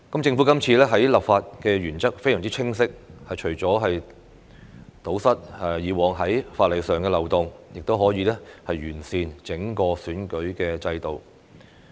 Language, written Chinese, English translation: Cantonese, 政府這次的立法原則非常清晰，除堵塞以往在法例上的漏洞外，亦可完善整個選舉制度。, The legislative principle of the Government is very clear this time and that is to plug the previous loopholes in the legislation and improve the entire electoral system